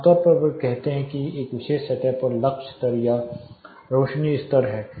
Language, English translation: Hindi, Typicallythey say this is lux level or illuminance level required on a particular surface